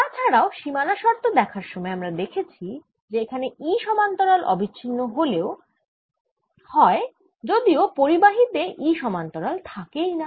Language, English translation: Bengali, in addition, we saw in the boundary condition that e parallel out here is also continuous, whereas there is no e parallel in conducting sphere